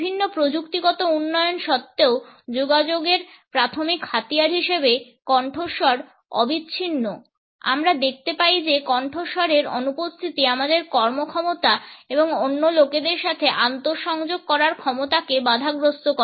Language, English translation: Bengali, Voice continuous to remain the primary tool of communication despite various technological developments, we find that the absence of voice hampers our performance and our capability to interconnect with other people